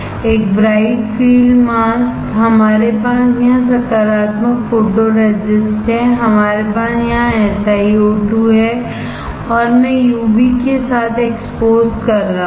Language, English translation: Hindi, A bright field mask, we have here photoresist positive, we have here SiO2 and I am exposing with UV; I am exposing with UV